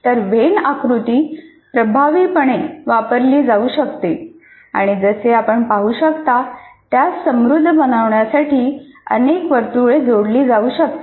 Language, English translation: Marathi, So when diagram can be used effectively and as you can see, more and more circles can be added to make it a very rich one